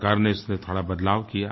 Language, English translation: Hindi, The Government has made some changes in the scheme